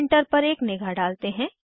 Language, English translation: Hindi, Now, lets have a look at our printer